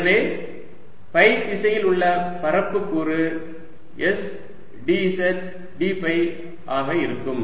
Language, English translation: Tamil, so the area element d s in phi direction is going to be s d z d phi